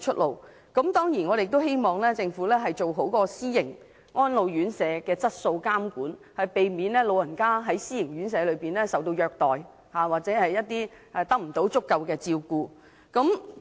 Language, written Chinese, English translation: Cantonese, 我們當然亦希望政府做好私營安老院舍的質素監管，避免長者在私營院舍受到虐待或得不到足夠的照顧。, We also hope the Government will assure the quality of private elderly homes so as to avoid elderly abuse or inadequate care in private elderly homes